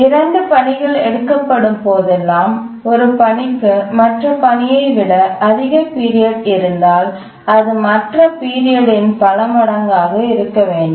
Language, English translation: Tamil, Whenever we take two tasks, if one task has a higher period than the other task then it must be a multiple of the period